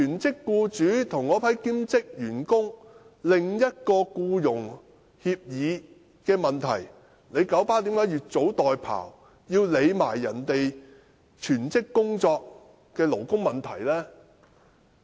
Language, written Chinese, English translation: Cantonese, 這是九巴的兼職員工與其全職僱主之間的僱傭協議問題，為何九巴要越俎代庖，要管別人全職工作的勞工問題呢？, This is something about the employment agreement between KMBs part - time staff and the employers of their full - time jobs . Why did KMB meddle in other peoples business and bother about the labour issues of their full - time jobs?